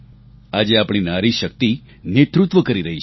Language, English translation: Gujarati, Today our Nari Shakti is assuming leadership roles